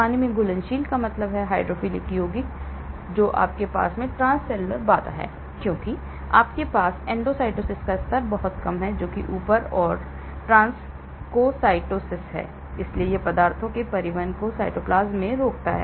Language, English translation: Hindi, Water soluble means hydrophilic compound then you have the transcellular barrier because you have very low level of endocytosis that is gobbling up and transcytosis so it inhibits transport of substances to the cytoplasm